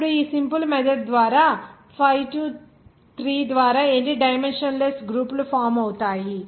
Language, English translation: Telugu, That is 6 3 that is 3 number of the dimensionless group will be formed